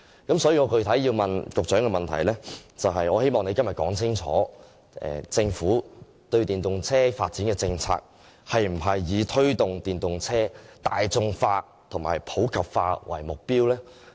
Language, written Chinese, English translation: Cantonese, 因此，我具體要問局長的補充質詢，就是希望局長今天說明政府對電動車發展的政策，是否以推動電動車大眾化和普及化為目標？, Hence my supplementary question for the Secretary specifically asks him to state clearly whether the Governments policy on EVs seeks to promote the popularization and universalness of EVs